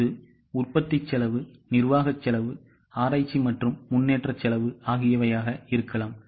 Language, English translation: Tamil, It can be manufacturing costs, admin costs, R&D costs